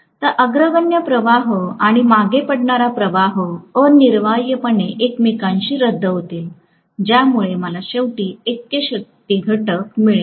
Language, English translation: Marathi, So, the leading current and the lagging current will essentially cancel out with each other because of which I might ultimately get unity power factor